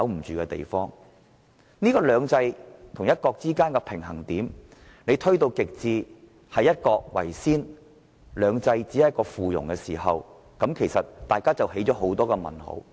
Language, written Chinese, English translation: Cantonese, 如把"兩制"與"一國"之間的平衡點推到極致，以"一國"為先，"兩制"只屬附庸，香港人便會生出很多問號。, If the balance between two systems and one country cannot be maintained with two systems being subservient to one country people in Hong Kong will have lots of question marks in their mind